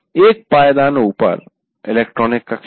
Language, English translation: Hindi, Then one notch above is the electronic classroom